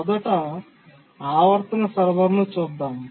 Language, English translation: Telugu, First let's look at the periodic server